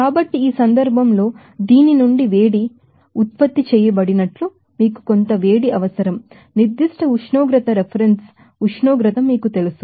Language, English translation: Telugu, So, here in this case, some heat is required to you know heated up from this, you know reference temperature to the certain temperature